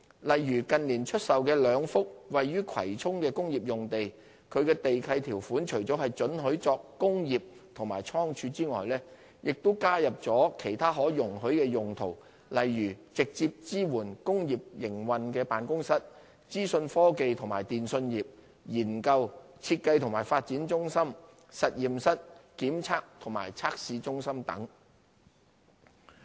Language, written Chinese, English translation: Cantonese, 例如近年售出的兩幅位於葵涌的工業用地，其地契條款除了准許作工業及倉庫外，亦加入了其他可容許的用途，例如直接支援工業營運的辦公室、資訊科技及電訊業、研究、設計及發展中心、實驗室、檢查及測試中心等。, For example the two industrial sites in Kwai Chung sold in recent years the lease conditions of which not only permit industrial and godown uses but also incorporate other permitted uses such as office in direct support of an industrial operation; information technology and telecommunications industries; research design and development centres; and laboratory inspection and testing centres etc